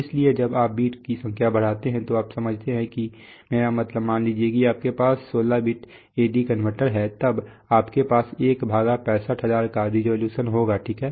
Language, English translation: Hindi, So when you increase the number of bits you can understand that if you have, let us say a 16 bit A/D converter then you have 1/65,000, this is your resolution, right